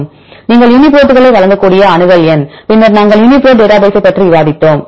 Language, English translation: Tamil, Then accession number you can give the Uniprots, then we discussed about the Uniprot database right